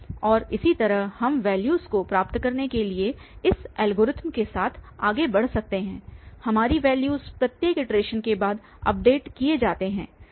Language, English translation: Hindi, And so on we can proceed with this algorithm to get values, our values updated after each iteration